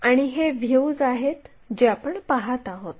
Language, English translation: Marathi, And, these are the views what we are perceiving